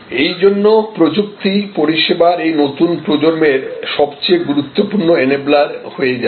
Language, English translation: Bengali, So, technology will become the most significant enabler of this new generation of service